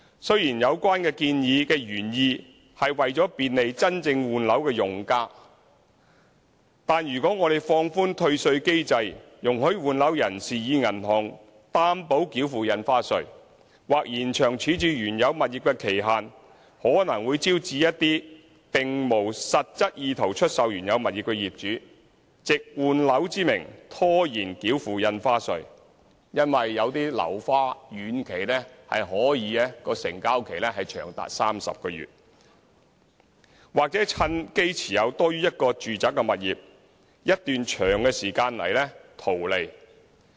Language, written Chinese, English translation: Cantonese, 雖然有關建議的原意是為了便利真正換樓的用家，但如果我們放寬退稅機制，容許換樓人士以銀行擔保繳付印花稅，或延長處置原有物業的期限，可能會招致一些並無實質意圖出售原有物業的業主，藉換樓之名拖延繳付印花稅，原因是有些樓花遠期成交期可以長達30個月，業主或會趁機持有多於1個住宅物業一段長時間來圖利。, While the suggestions originally intend to facilitate genuine users in replacing their residential properties if we relax the refund mechanism and allow those who are replacing their residential properties to pay stamp duty with bank guarantee or extend the time limit for disposal of the original property we may invite some owners without genuine intention to dispose of their original properties to under the guise of property replacement defer payment of stamp duty . As the presale period of some uncompleted residential properties can be as long as 30 months the owner may use the chance to profit from holding more than one residential property for a longer period of time